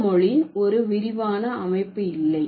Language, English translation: Tamil, this language does not have an extensive system